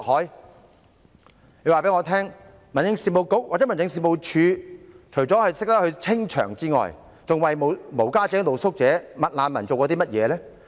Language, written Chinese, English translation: Cantonese, 誰可以告訴我，民政事務局或民政事務總署除了懂得清場外，還為無家者、露宿者、"麥難民"做過甚麼？, Who can tell me what the Home Affairs Bureau or Home Affairs Department has done for street sleepers and McRefugees except clearance?